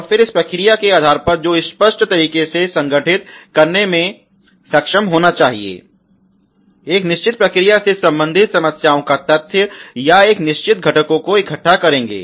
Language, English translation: Hindi, And then based on this process which should be able to clear organized way collect the data of problems related to a certain process or to a certain components